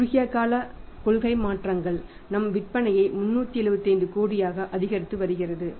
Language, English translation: Tamil, Initially we are affecting the short term policy changes we are increasing the sales by 375 crore